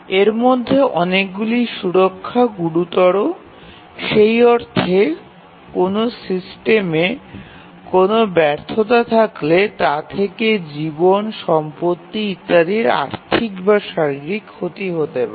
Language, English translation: Bengali, And many of these are safety critical, in the sense that if there is a failure in the system it can cause financial or physical damage